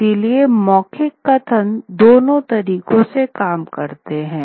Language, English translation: Hindi, So, oral narratives work with both ways